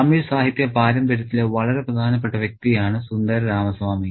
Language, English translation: Malayalam, Sindu Ramosami is a very, very important figure in Tamil literary tradition